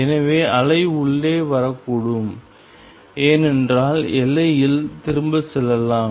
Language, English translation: Tamil, So, the wave could be coming in and because as the boundary could also be going back and